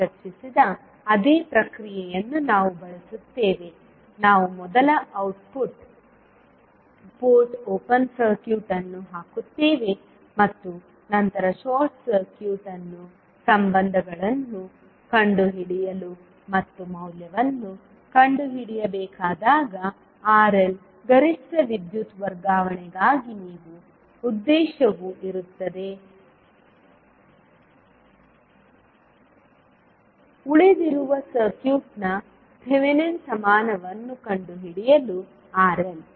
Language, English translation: Kannada, We will utilise the same process which we discussed, we will first put output port open circuit and then short circuit to find out the relationships and when you are required to find out the value of RL for maximum power transfer, the objective will be to find out the Thevenin equivalent of the circuit which is left to the RL